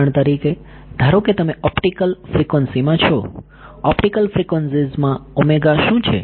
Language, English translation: Gujarati, For example supposing you are in optical frequencies; optical frequencies what is omega ok